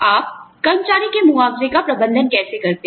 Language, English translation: Hindi, How do you manage healthcare benefits